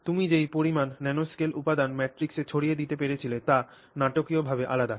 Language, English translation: Bengali, The extent to which you have managed to disperse the nanoscale material in your matrix is dramatically different